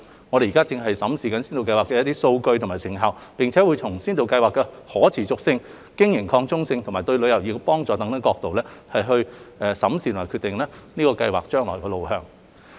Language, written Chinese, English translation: Cantonese, 我們正審視先導計劃的數據及成效，並會從先導計劃的可持續性、經營擴充性及對旅遊業的幫助等角度，決定計劃的未來路向。, We are reviewing the data and the effectiveness of the Scheme to determine its way forward from the perspective of its sustainability scalability and contribution to tourism etc